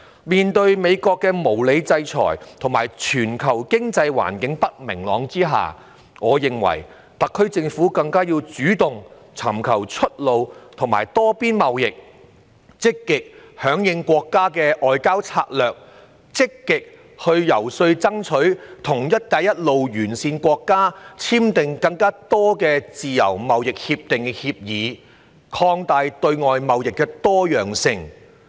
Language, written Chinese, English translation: Cantonese, 面對美國的無理制裁和全球不明朗的經濟環境，我認為特區政府更要主動尋求出路和多邊貿易，積極響應國家的外交策略，積極進行遊說工作，爭取與"一帶一路"沿線國家簽訂更多自由貿易協定的協議，擴大對外貿易的多樣性。, Given the unreasonable sanctions imposed by the United States and an uncertain global economic environment I think the SAR Government should take the initiative to explore pathways and seek multilateral trade cooperation actively respond to our countrys diplomatic strategy and actively lobby to enter into more free trade agreements with the Belt and Road countries thereby further diversifying our external trade